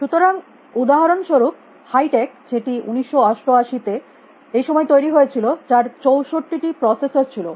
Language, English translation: Bengali, So, for example, a high tech mutual also developed on this time in 1988 had 64 processors